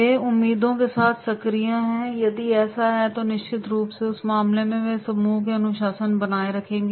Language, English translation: Hindi, They are active with expectations, and if it is so then definitely in that case they will be maintaining the discipline in the group